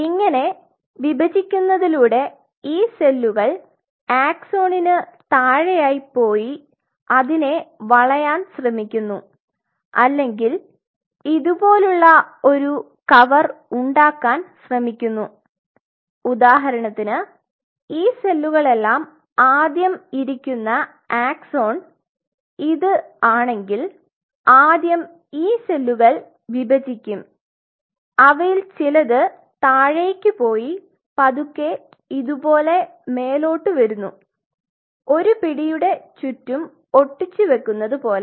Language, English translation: Malayalam, Upon division these cells kind of go underneath the axon and tries to encircle it or tries to form a cover like this say for example, if this is the axon which is sitting first of all these cells divide and some of them goes down and slowly takes it like this as if it is forming sticking it in a grip like this something like this